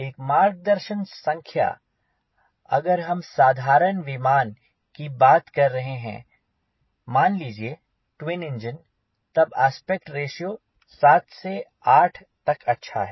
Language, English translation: Hindi, to start with, a guideline number is, if you are talking about general aviation, gets a twin engine aspect ratio around seven to eight is good